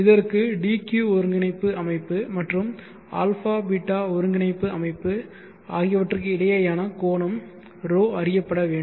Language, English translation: Tamil, the angle between the d and dq coordinate system and a beeta coordinate system should be known